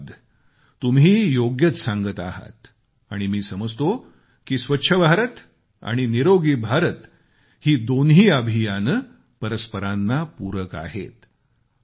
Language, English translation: Marathi, Thanks, you have rightly said it and I believe that Swachch Bharat and Swasth Bharat are supplementary to each other